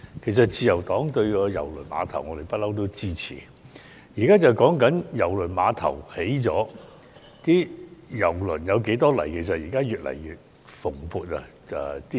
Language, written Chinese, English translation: Cantonese, 其實自由黨一向支持郵輪碼頭，現在討論的是郵輪碼頭建成後，有多少郵輪來港。, In fact the Liberal Party has supported KTCT all along . Now we are talking about the number of ship calls in Hong Kong after the commissioning of KTCT